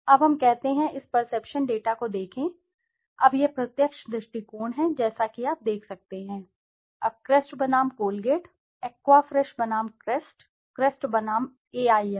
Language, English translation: Hindi, Now let us say, let us look at this perception data, now this is the direct approach, as you can see, now Crest versus Colgate, Aqua Fresh versus Crest, Crest versus Aim